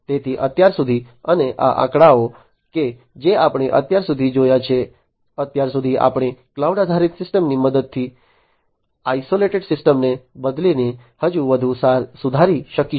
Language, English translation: Gujarati, So, far and this figures that we have seen so, far we would be able to improve even further by replacing the isolated systems with the help of cloud based systems